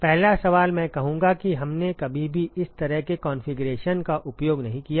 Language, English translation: Hindi, The first question I would say we have never used this kind of a configuration